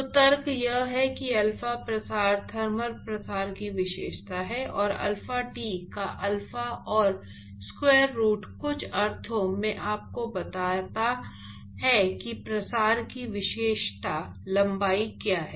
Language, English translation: Hindi, So, really the rationale is that alpha characterizes the diffusion thermal diffusion, and alpha and square root of alpha t in some sense it tells you what is the characteristic length of diffusion